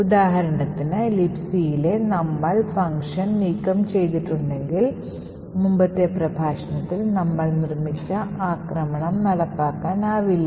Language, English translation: Malayalam, We had seen for example if the system function present in libc was removed then the attack that we have built in the previous lecture will not execute anymore